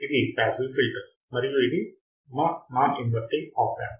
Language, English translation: Telugu, This is the passive filter and this is our non inverting op amp